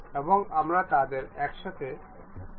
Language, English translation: Bengali, And we would like to really mate them together